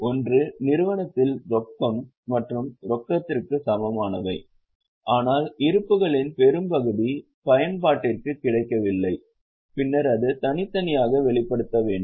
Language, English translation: Tamil, One is that enterprise has cash and cash equivalent but that much of balance is not available for use, then it needs to be separately disclosed